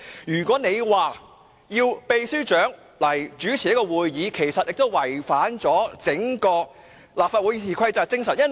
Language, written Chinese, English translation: Cantonese, 如果你要求立法會秘書長代為主持會議，亦違反了《議事規則》的精神。, If you ask the Secretary General of the Legislative Council Secretariat to take up the chair it will be contrary to the spirit of RoP